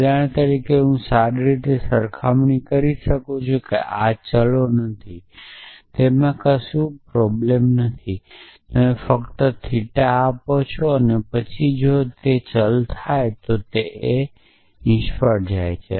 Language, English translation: Gujarati, For example, I am comparing well these are not variables does not matter it could that they are same variables then you just return theta then if variable occurs return fail